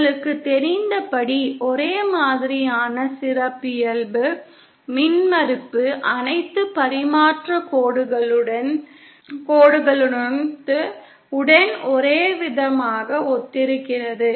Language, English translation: Tamil, As you know uniform characteristic impedance corresponds to uniform with along for all transmission lines